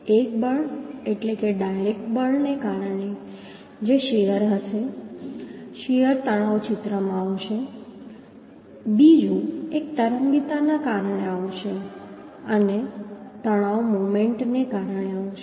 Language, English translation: Gujarati, One is due to force means direct force which would be the shear shear stress will come into picture one another is will come due to eccentricity and the stress will come due moment